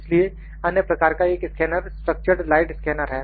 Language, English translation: Hindi, So, another kind of a scanner is structured light scanner; structured light scanner